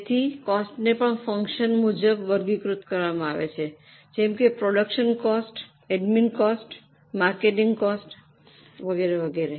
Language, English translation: Gujarati, So, the cost is also classified as for the function like production cost, admin cost, marketing costs and so on